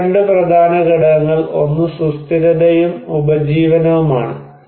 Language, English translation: Malayalam, And two major components here, one is the sustainability, and livelihood